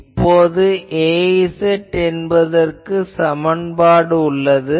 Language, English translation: Tamil, Now, I have the expression for Az this is the expression